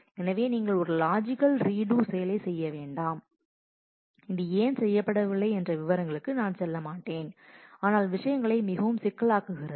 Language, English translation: Tamil, So, you do not do a logical redo I mean, I will not go into the details of why this is not done, but it simply makes things very complicated